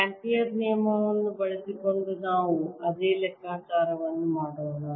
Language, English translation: Kannada, let us do the same calculation using amperes law